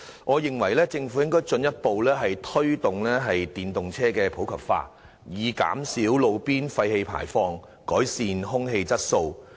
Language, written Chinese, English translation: Cantonese, 我認為政府應進一步推動電動車普及化，以減少路邊廢氣排放，改善空氣質素。, In my opinion the Government should further promote the popularization of EVs so as to reduce roadside emission and improve air quality